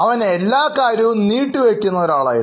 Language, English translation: Malayalam, Well, he was a procrastinator